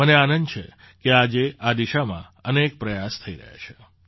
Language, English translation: Gujarati, I am happy that, today, many efforts are being made in this direction